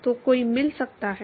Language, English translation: Hindi, So, one could find